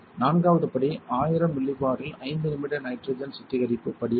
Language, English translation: Tamil, The fourth step is a 5 minute nitrogen purge step at 100 Millipore